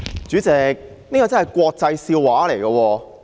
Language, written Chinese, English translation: Cantonese, 主席，這真是國際笑話。, President this is indeed an international laughing stock